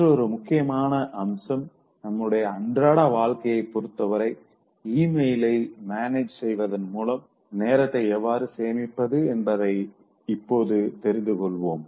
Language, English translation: Tamil, Another important aspect with regard to our day to day life is now knowing how to save time by managing emails